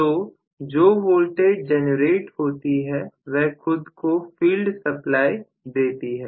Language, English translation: Hindi, So, whatever is the generated voltage that itself has to give the field also a supply